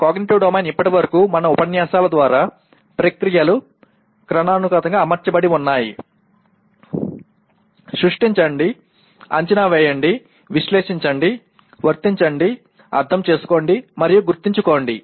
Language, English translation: Telugu, And Cognitive Domain till now through all our lectures we have seen has processes been hierarchically arranged, Create, Evaluate, Analyze, Apply, Understand, and Remember